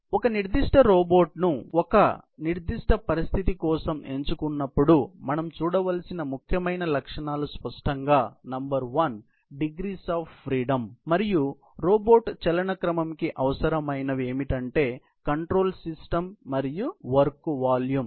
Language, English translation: Telugu, So, the most important features that we need to look at when we select a particular robot for a certain situation are obviously, number one; degrees of freedom; what all is needed in terms of its motion sequence; control system that has to be adapted; the work volume that it has to cater to